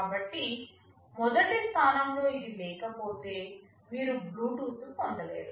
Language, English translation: Telugu, So, if it is not there in the first place, you cannot have Bluetooth